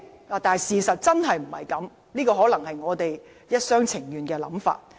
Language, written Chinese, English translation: Cantonese, 然而，事實真的並非如此，這可能只是我們一廂情願的想法。, However this is not really the case . This may simply be our wishful thinking